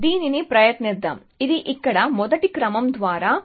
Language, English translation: Telugu, So, let us try that, this is by first sequence here A C G T C